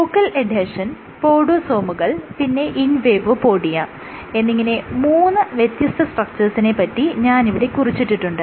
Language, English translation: Malayalam, So, I have just jotted down three different structures called focal adhesions podosomes and invadopodia